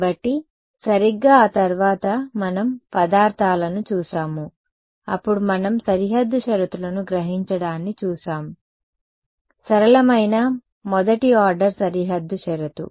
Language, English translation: Telugu, So, we saw that exactly then after that we looked at materials are done, then we looked at absorbing boundary conditions; simple first order absorbing boundary condition right so, absorbing